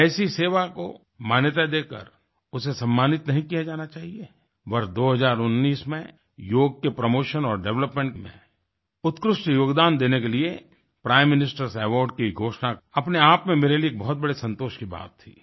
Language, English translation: Hindi, In the year 2019, the announcement of Prime Minister's Awards for excellence in the promotion and development of yoga was a matter of great satisfaction for me